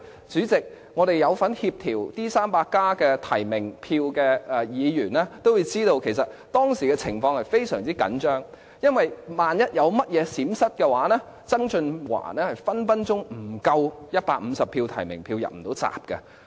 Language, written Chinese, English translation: Cantonese, 主席，我們有份協調"民主 300+" 提名票的議員都知道，其實當時的情況是非常緊張。因為一旦有任何閃失，曾俊華很可能取不足150張提名票，不能"入閘"。, President for Members who had taken part in coordinating the nominations for Democrats 300 they would surly felt the tenseness at that time because just a slight hiccup would very likely make John TSANG fail to obtain 150 nominations rendering him unable to stand for the election